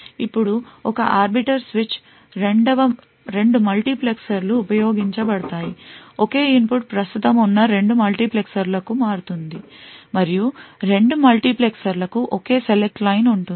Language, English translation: Telugu, Now, in an arbiter switch two multiplexers are used, the same input is switched to both multiplexers present and both multiplexers have the same select line